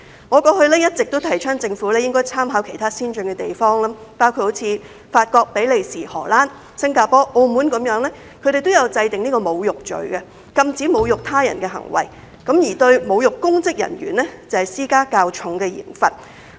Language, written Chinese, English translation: Cantonese, 我過往一直也提倡政府應該參考其他先進地方，包括法國、比利時、荷蘭、新加坡和澳門，它們都有制訂侮辱罪，禁止侮辱他人的行為，並且就侮辱公職人員施加較重的刑罰。, In the past I have been advocating that the Government should draw reference from other advanced places including France Belgium the Netherlands Singapore and Macao where insult offences are in place to prohibit insults to another person and heavier penalties are imposed on insults to public servants